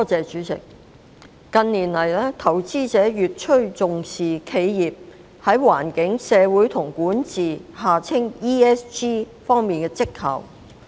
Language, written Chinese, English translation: Cantonese, 主席，近年，投資者越趨重視企業在"環境、社會及管治"方面的績效。, President in recent years investors have attached an increasing importance to the performance of enterprises in the environmental social and governance ESG aspects